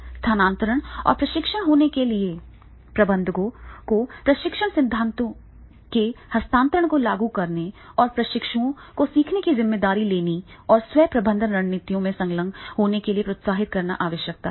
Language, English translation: Hindi, For transfer of training to occur, managers need to apply transfer of training theories and encouraging trainees to take responsibility for the learning and to engage in self management strategies